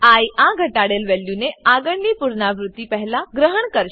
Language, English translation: Gujarati, i will adopt this decremented value before the next iteration